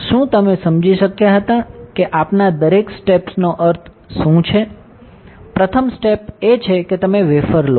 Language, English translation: Gujarati, So, did you understand what exactly we mean by each step; first step is you take the wafer